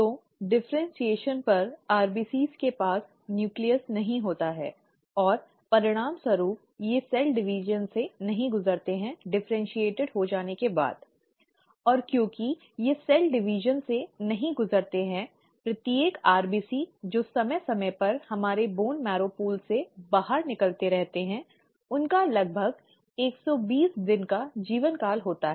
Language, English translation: Hindi, So upon differentiation, the RBCs do not have nucleus, and as a result they do not undergo cell division once they have differentiated, and because they do not undergo cell division, each RBC which periodically keeps coming out of our bone marrow pool has a life span of about one twenty days